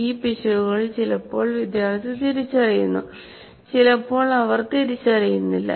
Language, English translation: Malayalam, These errors, sometimes they are either noted by this, identified by the student, or sometimes they do not